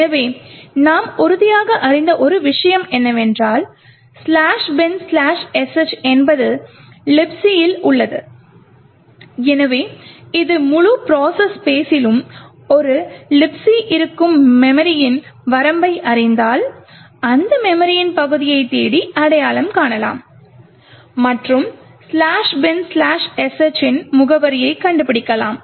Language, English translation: Tamil, So, one thing what we know for sure is that /bin/sh is present in the libc, so if you know the memory range where a libc is present in the entire process space, we could search that memory area and identify the address of /bin/sh